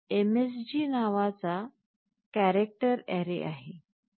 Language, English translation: Marathi, There is a character array called msg